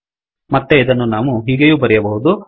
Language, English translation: Kannada, It is also possible to re write it in this fashion